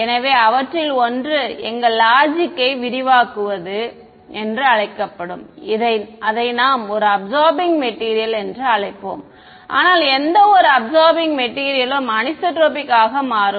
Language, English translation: Tamil, So, one of them is going to be what is called as extending our logic we will call it an absorbing material ok, but not just any absorbing material that material will turn out to be anisotropic